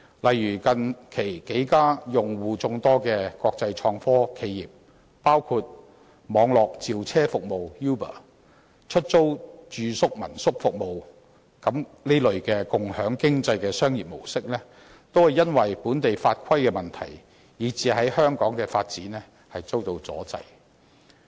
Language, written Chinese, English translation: Cantonese, 例如，近期數間用戶眾多的國際創科企業，包括網絡召車服務 Uber 及出租住宿的民宿服務提供者，所進行的"共享經濟"商業活動，均因為本地法規問題，以致在香港的發展遇到阻滯。, For instance several international innovation and technology enterprises that enjoy sizable clienteles including Uber the network on - demand transportation service provider and an online apartment rental service provider have recently hit development hurdles while conducting business activities under the sharing economy in Hong Kong due to a problem in local legislation